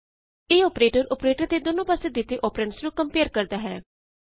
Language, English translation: Punjabi, This operator compares the two operands on either side of the operator